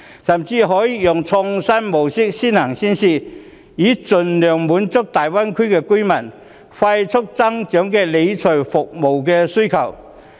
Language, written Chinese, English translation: Cantonese, 甚至可以用創新模式作先行先試，盡量滿足大灣區居民迅速增長的理財服務需求。, We can even make use of the innovative mode for early and pilot implementation so as to meet as far as possible the rapidly growing demand in financial management services amongst residents in the Greater Bay Area